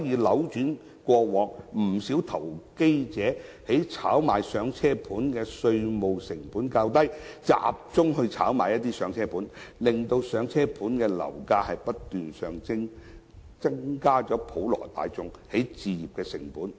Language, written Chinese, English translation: Cantonese, 由於過往不少投機者炒賣"上車盤"的稅務成本較低，他們集中炒賣"上車盤"，令"上車盤"的樓價不斷上升，從而增加普羅大眾的置業成本。, Since quite a number of investors focused on speculating starter homes in the past owing to the lower tax costs involved the property prices of starter homes have been surging thus increasing the cost of property acquisition of the general public